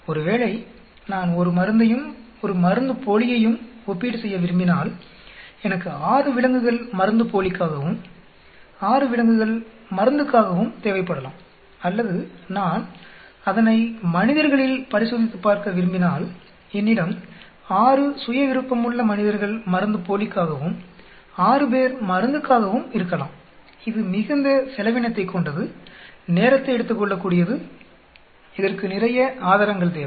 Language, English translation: Tamil, Suppose I want to conduct a drug and a placebo comparison, I may need 6 animals for placebo, 6 animals for drug or if I want to test it on a human, then I may have 6 human volunteers for placebo, 6 for drugs, which is very expensive, time consuming it requires lots of resources